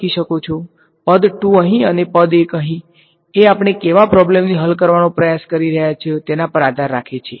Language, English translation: Gujarati, Term 2 here and term 1 there depends on the problem that you are trying to solve